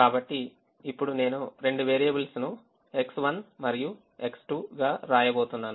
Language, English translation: Telugu, so i am going to write the two variable as x one and x two